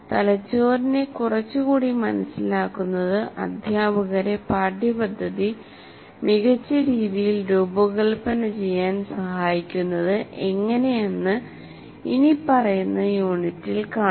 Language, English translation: Malayalam, For example, we'll see in the following unit a little bit of understanding of the brain can help the teachers design the curriculum better